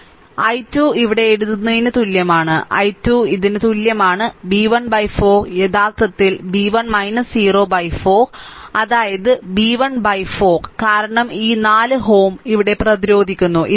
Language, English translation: Malayalam, So, i 3 is equal to writing here, i 3 is equal to this is b 1 by 4, actually b 1 minus 0 by 4 that is your b 1 by 4, because this 4 ohm resistances here, right